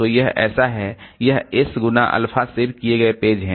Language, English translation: Hindi, So, so this is, so this into, S into alpha saved pages